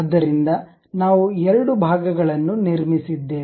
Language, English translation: Kannada, So, we have constructed two parts